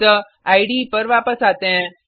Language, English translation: Hindi, So, switch back to the IDE